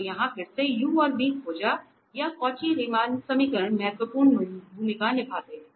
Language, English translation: Hindi, So, here again the finding u or v the Cauchy Riemann equations play important role